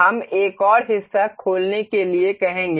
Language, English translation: Hindi, We will ask for another part to be opened